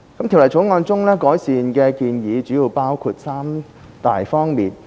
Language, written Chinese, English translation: Cantonese, 《條例草案》中的改善建議主要包括三大方面。, The improvement measures in the Bill mainly cover three aspects